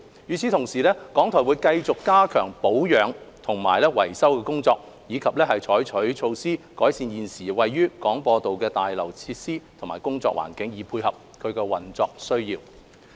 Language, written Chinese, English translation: Cantonese, 與此同時，港台會繼續加強保養和維修的工作，以及採取措施改善現時位於廣播道的大樓設施及工作環境，配合運作需要。, Meanwhile RTHK will continue to step up maintenance and repairs and take measures to improve the facilities and working environment of the buildings located at the Broadcast Drive with a view to coping with operational needs